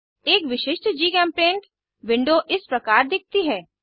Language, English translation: Hindi, A typical GChemPaint window looks like this